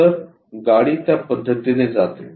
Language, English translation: Marathi, So, the car goes in that way